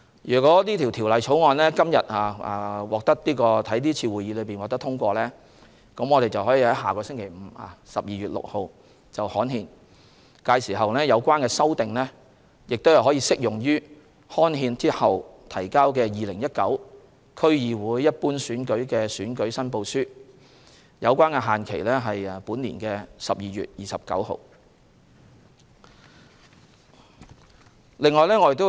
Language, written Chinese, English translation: Cantonese, 如《條例草案》於今天會議獲得通過，我們可於下星期五，即12月6日刊憲，屆時有關修訂將適用於刊憲後提交的2019年區議會一般選舉的選舉申報書，提交的限期為本年12月29日。, Subject to the Bill being passed in the meeting today gazettal can be made next Friday on 6 December . The relevant amendments will then be applicable to the election returns for the 2019 District Council General Election ―the submission deadline of which is 29 December―that are submitted after the gazette date